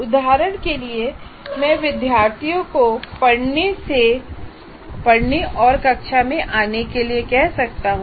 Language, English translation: Hindi, For example, I can ask the students to read in advance and come to the class